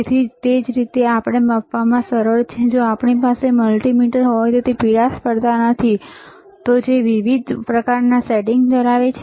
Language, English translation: Gujarati, So, easy to measure similarly, if we have multimeter which is not the yellowish one, right; which is which has different kind of settings